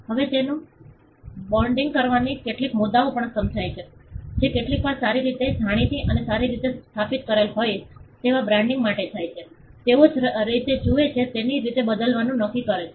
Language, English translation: Gujarati, Now, branding it also has certain issues some sometimes mark that is well known and well established may go for a rebranding they may decide to change the way they look